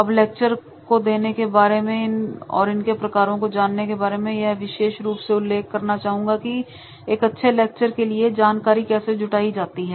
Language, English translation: Hindi, Now, after the delivery of these lectures and types of the lectures, now I will also like specially mention that is the how to prepare the content for a good lecture